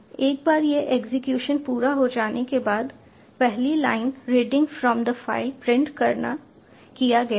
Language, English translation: Hindi, see, once this execution is complete, the first line has been printed, reading from the file